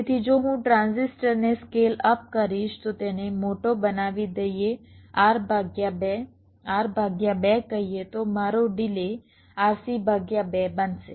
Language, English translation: Gujarati, so if i scale up the transistor, make them bigger, lets say r by two, r by two, then my delay will become r, c by two right